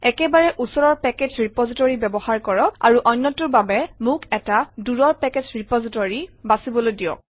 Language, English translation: Assamese, Use the nearest package repository, and the other one is let me choose a remote package repository